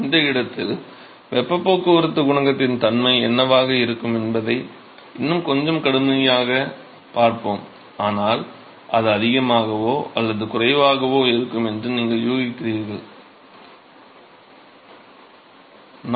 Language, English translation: Tamil, We will see will see in a little bit more rigorous way what will be the nature of the heat transport coefficient in that location, but what would you guess it will be higher or lower